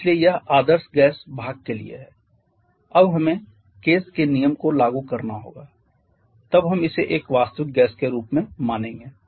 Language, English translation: Hindi, So that is for the ideal gas part now we have to apply the Kays rule that is when we are going to treat the it has an has a real gas